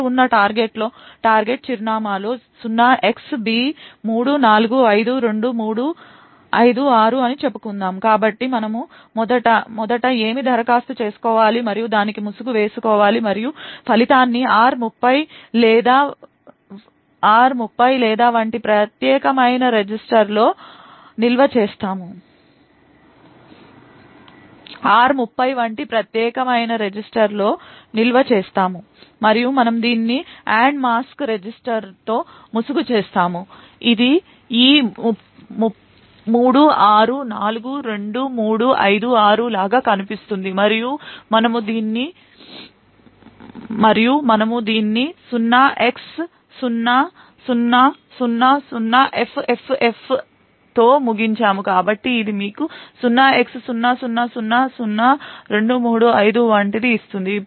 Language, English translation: Telugu, Let us say a target address present in r nought is some value say 0xb3452356 so what we do is first we apply and mask to it and store the result in a dedicated register such as say r30 or so and we mask this with the AND mask register which looks something like this 36452356 and we end this with 0x0000FFFF, so this would give you something like 0x00002356